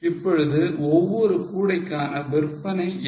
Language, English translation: Tamil, Now what is the sales per basket